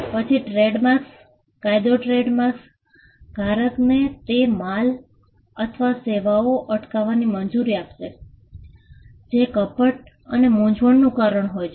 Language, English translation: Gujarati, Then the trademark law will allow the trademark holder to stop the goods or services that are causing the deception or the confusion